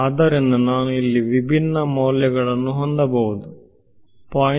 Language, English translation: Kannada, So, I can have different values over here let us say 0